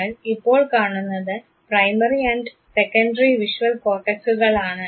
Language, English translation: Malayalam, You now see the primary and the secondary visual cortex